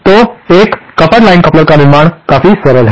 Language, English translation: Hindi, So, the construction of a coupled line coupler is quite simple